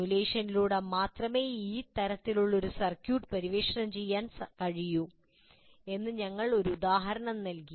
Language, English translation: Malayalam, We're just giving an example how a circuit of this nature can only be explored through simulation